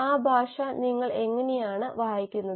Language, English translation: Malayalam, How do you read that language